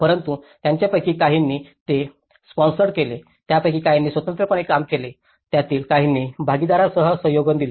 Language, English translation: Marathi, But at least some of them they sponsored it, some of them they worked independently, some of them they collaborated with partnerships